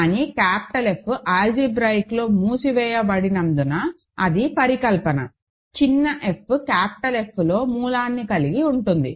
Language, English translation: Telugu, But, since capital F is algebraically closed, that is the hypothesis, small f has a root in capital F